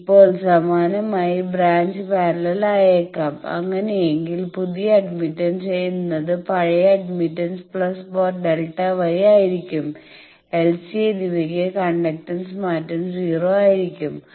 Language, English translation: Malayalam, Now, similarly the branch may be in parallel in that case the new admittance will be the old admittance plus delta Y and for L and c the conductance change will be 0